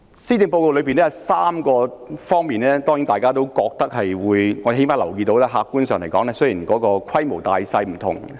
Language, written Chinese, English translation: Cantonese, 施政報告裏有3方面，大家都有些意見，至少我留意到客觀上是這樣，即使有關項目的規模不同、性質各異。, Members have different views on three areas in the Policy Address though the scale and nature of which are different . At least that is what I have noticed objectively